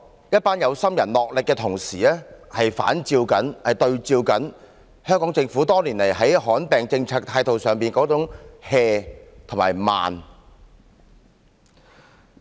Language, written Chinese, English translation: Cantonese, 一班有心人的努力同時比照出香港政府多年來在罕見疾病政策上的態度是""和慢。, The hard work done by these conscientious people has contrasted markedly with the casual and sloppy attitude long adopted by the Hong Kong Government in respect of the policies on rare diseases